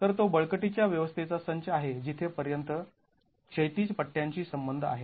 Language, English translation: Marathi, So, that's the set of strengthening arrangements as far as the horizontal bands are concerned